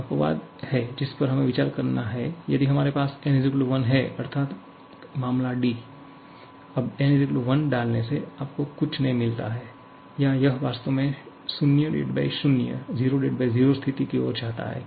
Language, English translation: Hindi, One exception that we have to consider if we have n = 1, now putting n = 1 does not give you anything or it actually leads to a 0/0 situation